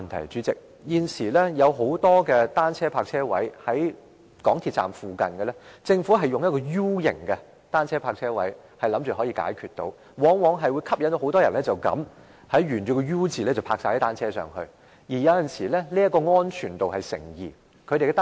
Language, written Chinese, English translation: Cantonese, 代理主席，現時有很多設在港鐵站附近的單車泊車位，政府均採用 U 形設計，期望可以解決問題，但往往吸引很多人沿着 U 形車位停放單車，有時候令其安全度成疑。, Deputy President at present many bicycle parking spaces set up by the Government near MTR stations use the U - shape design for the Government considers this a solution to the problem . Yet more often than not many people will park their bicycles along the U - shape parking racks . Sometimes the security of bicycles parked is questionable